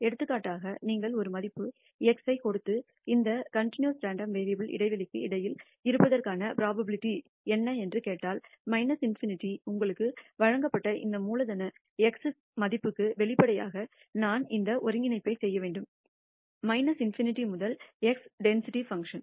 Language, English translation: Tamil, For example, if you give a value x and ask what is the probability that this continuous random variable lies between the interval minus infinity to this capital x value that you are given then, obviously, I have to perform this integral minus infinity to x of the density function